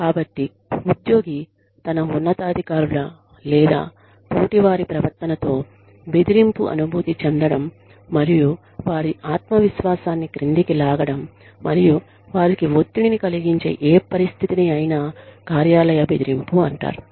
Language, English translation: Telugu, So, any situation in which, the employee feels threatened, by the behavior, of his or her superiors or peers, and pulls their self confidence down, and causes them stress, is called workplace bullying